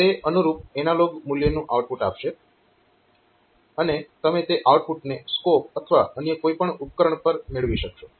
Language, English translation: Gujarati, So, it will be outputting the corresponding analog value and you will be able to get that output on to the scope or any other device that you are looking for